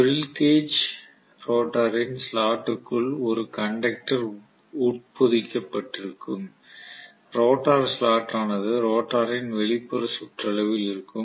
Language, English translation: Tamil, Definitely the squirrel cage rotor will also be having the conductor embedded inside the rotor slot, the rotor slot will be in the outer periphery of the rotor